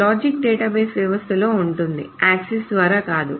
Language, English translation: Telugu, The logic is in the database system itself, not by the access